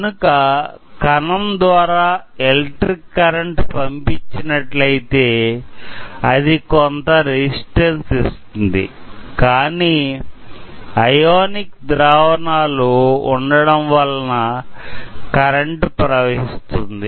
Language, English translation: Telugu, So, what happens is if we pass current through a cell, it will provide some resistance; basically, because there are ionic solution inside, it will conduct electricity at the same time